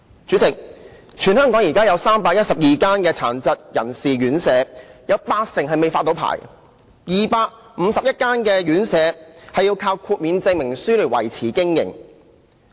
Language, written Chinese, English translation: Cantonese, 主席，現時全港有312間殘疾人士院舍，有八成未獲發牌 ，251 間院舍要靠豁免證明書來維持經營。, President there are 312 RCHDs in Hong Kong 80 % of which are not granted licences and 251 RCHDs operate with certificates of exemption